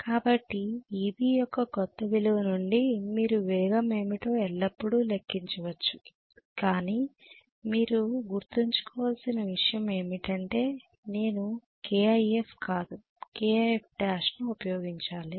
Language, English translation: Telugu, So from the new value of Eb you can always calculate what is the speed but only thing you have to remember is I have to use K times IF dash not K times IF right